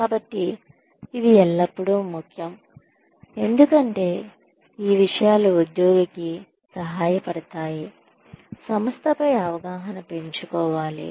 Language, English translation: Telugu, So, it is always important, because these things help the employee, develop an understanding of the organization